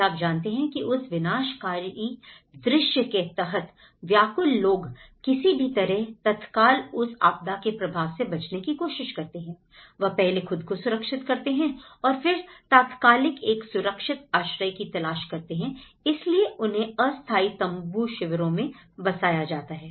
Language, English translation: Hindi, You know, that is very destructive scene for the people, they somehow under the immediate impact of a disaster, they tend to look for you know, first safeguarding themselves and try to look for an immediate shelter, so that is where they moved to the temporary tent camps